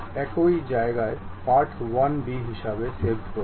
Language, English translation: Bengali, Save as part1b at the same location